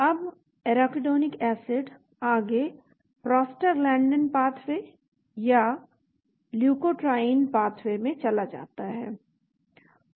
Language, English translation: Hindi, Now the Arachidonic acid goes down into the Prostaglandin pathway or the leukotriene pathway